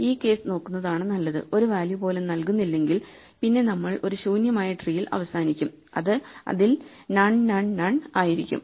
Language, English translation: Malayalam, So, maybe it is better to look at this case right if we do not give a value then we end up with a tree we just says none, none, none